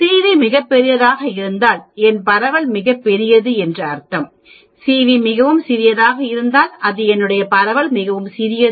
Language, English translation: Tamil, If CV is very large, that means my spread is very large, if CV is very small that means my spread is very small